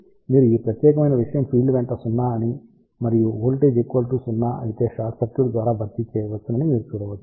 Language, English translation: Telugu, So, you can actually see that along this particular thing field is 0 and if the voltage is equal to 0 that can be replaced by a short circuit